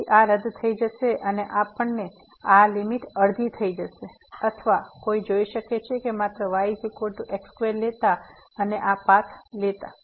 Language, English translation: Gujarati, So, this will get cancel and we will get this limit half or directly one can see just substituting is equal to square there taking this path